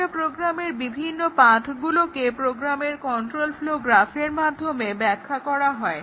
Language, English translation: Bengali, The paths in a program are defined with respect to the control flow graph of a program